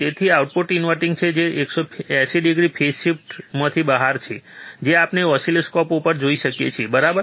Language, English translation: Gujarati, So, that the output is inverting that is out of phase 180 degree phase shift, which we can see on the oscilloscope, right